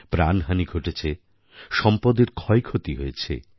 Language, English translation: Bengali, There was also loss of life and property